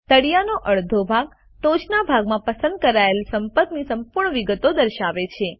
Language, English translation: Gujarati, The bottom half displays the complete details of the contact selected at the top